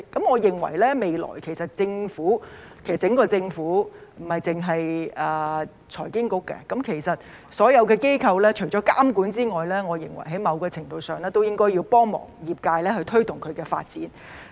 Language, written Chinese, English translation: Cantonese, 我認為未來整個政府，不單是財經事務及庫務局——其實所有的機構除了監管外，在某程度上應該幫助推動業界發展。, In my opinion in the future the Government as a whole not only the Financial Services and the Treasury Bureau should―indeed all regulatory bodies should to a certain extent help promote the development of the profession in addition to regulation